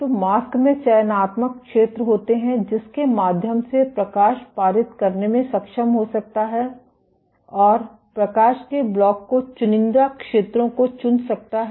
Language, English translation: Hindi, So, the mask has selective zones through which light might be able to pass and selective zones which blocks of the light